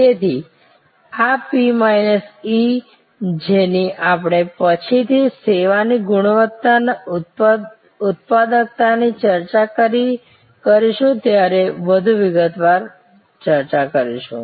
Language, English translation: Gujarati, So, this P minus E which we will discuss in greater detail when we discuss service quality and productivity later on